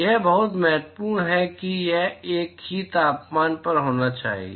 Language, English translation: Hindi, That is very important it has to be at the same temperature